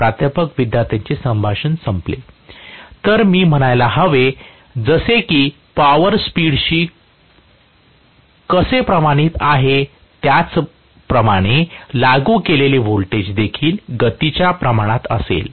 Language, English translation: Marathi, (Professor – student conversation ends) So I should say, just like how the power is proportional to the speed, the voltage applied will also be proportional to the speed